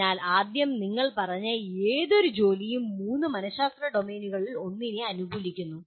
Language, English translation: Malayalam, So first thing he said any given task that you take favors one of the three psychological domains